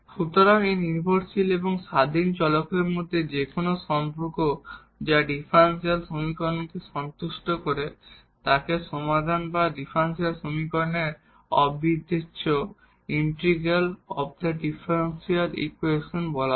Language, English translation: Bengali, So, any relation between this dependent and independent variable which satisfies the differential equation is called a solution or the integral of the differential equation